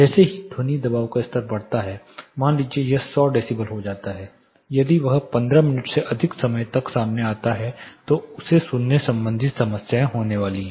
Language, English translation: Hindi, As sound pressure level increases, say as it goes to 100 decibel if he is exposed to more than 15 minutes he is going to have hearing related problems